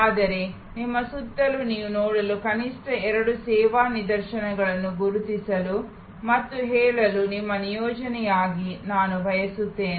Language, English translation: Kannada, But, I would like you as your assignment to identify and tell me at least two such service instances that you see around you